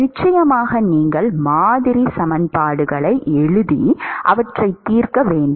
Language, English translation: Tamil, Of course, you will have to write model equations and solve them